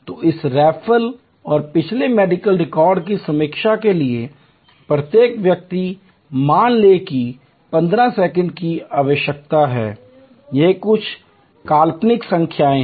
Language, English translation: Hindi, So, each person for this referral and previous medical record review, suppose needs 15 seconds these are somewhat hypothetical numbers